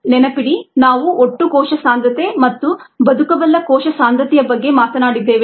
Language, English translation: Kannada, remember we talked about total cell concentration and viable cell concentration